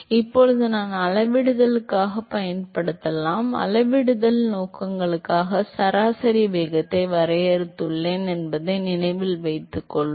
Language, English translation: Tamil, So, now I can use that as a scaling, remember we defined average velocity for scaling purposes, right